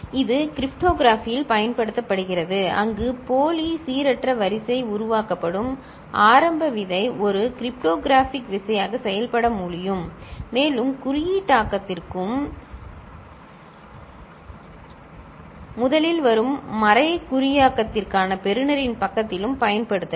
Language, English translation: Tamil, And it is used in cryptography also where the initial seed from which the pseudo random sequence is generated can serve as a cryptographic key and can be used for encryption first and at the receiver side for decryption